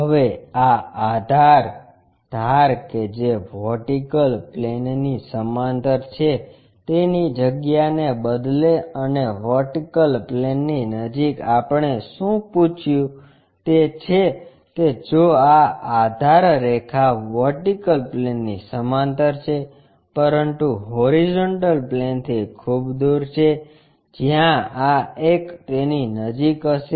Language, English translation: Gujarati, Now, instead of asking these base edge parallel to vertical plane and near to vertical plane what we will ask is if this base edge is parallel to vertical plane, but far away from horizontal plane where this one will be near to that